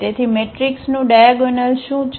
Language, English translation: Gujarati, So, what is the diagonalization of the matrix